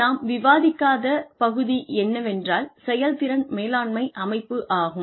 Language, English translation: Tamil, What we did not discuss, was the performance management system